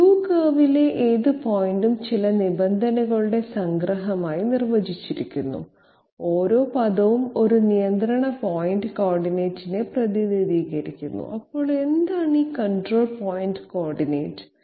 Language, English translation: Malayalam, The curve any point on the curve Q is defined to be a submission of certain terms and each term represents a control point coordinate, so what is this control point coordinate